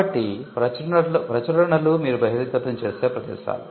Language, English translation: Telugu, So, publications are places where you would find disclosures